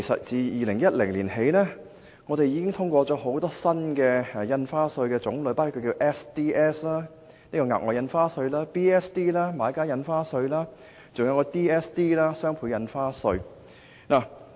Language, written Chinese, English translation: Cantonese, 自2010年起，本會已通過多項新的印花稅，包括額外印花稅、買家印花稅及雙倍印花稅。, Since 2010 this Council has approved the levy of various new ad valorem stamp duty AVD measures including the Special Stamp Duty SSD Buyers Stamp Duty BSD and Double Stamp Duty DSD